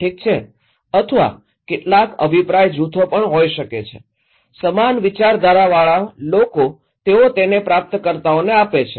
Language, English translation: Gujarati, Okay or could be some opinion groups, same minded people they pass it to the receivers